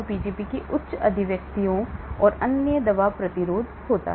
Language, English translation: Hindi, Because of , the high expressions of the Pgp and hence the drug resistance happens